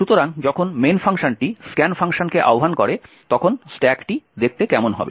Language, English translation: Bengali, So, when the main function invokes the scan function this is how the stack is going to look like